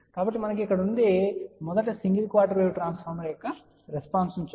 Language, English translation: Telugu, So, what we have here let see first the response of a single quarter wave transformer